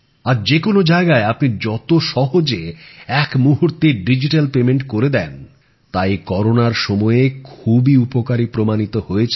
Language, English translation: Bengali, Today, you can make digital payments with absolute ease at any place; it is proving very useful even in this time of Corona